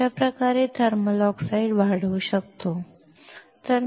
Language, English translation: Marathi, This is how we can grow the thermal oxide